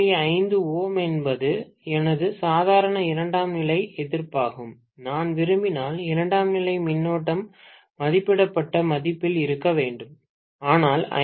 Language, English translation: Tamil, 5 ohms is my normal secondary resistance, if I want the secondary current to be at rated value, right